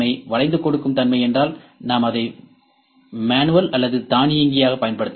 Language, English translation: Tamil, Flexibility means we can use it manual or automated ok